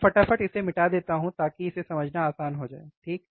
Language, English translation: Hindi, So, let me just rub it down so, it becomes easy to understand, right